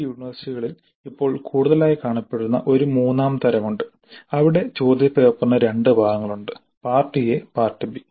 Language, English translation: Malayalam, There is a third type which has become more prominent these days in some of the universities where the question paper has two parts, part A and part B